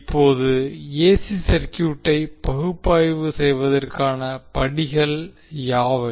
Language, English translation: Tamil, Now what are the steps to analyze the AC circuit